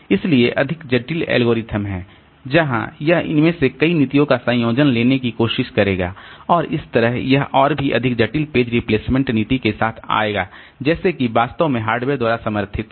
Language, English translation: Hindi, So, there are more complex algorithms where it will try to take a combination of many of these policies and that way it will come up with even more complex page replacement policies like which are actually supported by the hardware